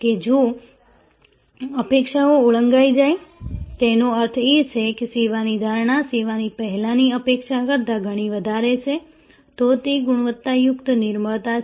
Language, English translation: Gujarati, That if the expectations are exceeded; that means, perception of the service is much higher than the expectation before the service, then it is a quality serendipity